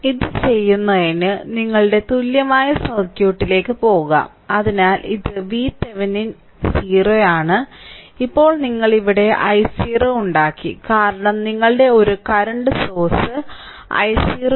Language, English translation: Malayalam, So, to do this so, let us go to that your equivalent circuit; so, it is V Thevenin is 0 and now here you have made i 0, that back because your one current source we have put it say i 0 is equal to 1 ampere say right